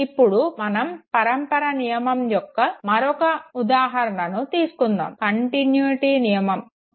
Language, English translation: Telugu, Let us look at another example of a law of continuity